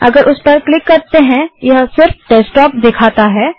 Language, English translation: Hindi, If we click on it, it shows only the Desktop